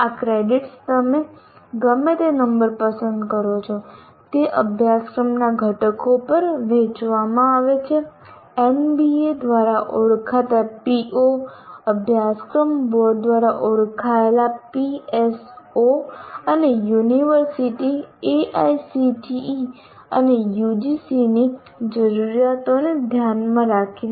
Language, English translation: Gujarati, And these credits, whatever number that you choose, are distributed over the curricular components, keeping the POs identified by NBA, PSOs identified by the Board of Studies, and the requirements of the university, AICT and UGC